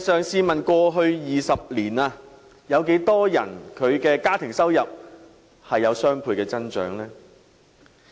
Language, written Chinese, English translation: Cantonese, 試問過去20年有多少家庭的收入出現雙倍增長？, May I ask how many people have their household income increased by twofold over the past 20 years?